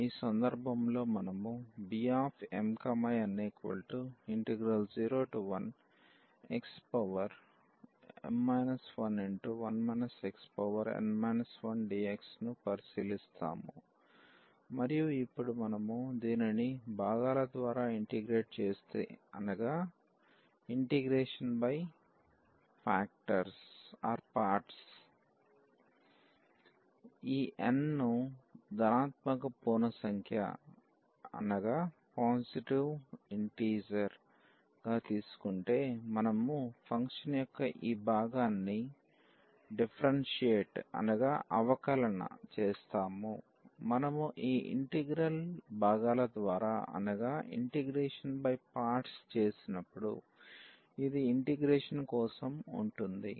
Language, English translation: Telugu, So, in this case we consider this beta m, n the given integral and now, if we integrate this by parts and taking that this n is taken as a positive integer so, we will differentiate this part of the function and then this will be for the integration when we do this integration by parts